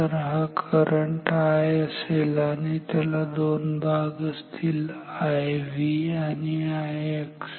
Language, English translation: Marathi, So, this current I; so, it is it has 2 components I V and I X